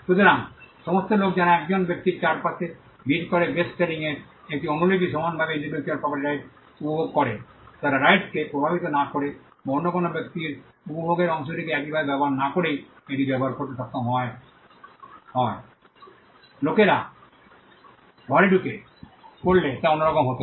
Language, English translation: Bengali, So, all the people who crowded around a person what a copy of a bestselling book equally enjoy the intellectual property right, they were able to use it without affecting the right or without affecting the enjoyment quotient of the other person to use it at the same time; which would have been different if people were crammed into a room